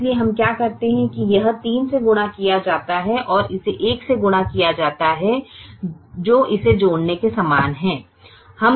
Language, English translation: Hindi, so what we do is this is multiplied by three and this is multiplied by one, which is the same as adding it